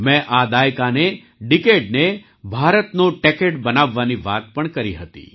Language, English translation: Gujarati, I had also talked about making this decade the Techade of India